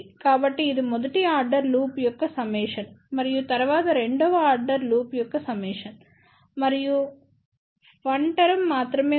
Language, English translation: Telugu, So, that is the summation of the first order loop and then, plus summation of second order loop ok and there is only 1 term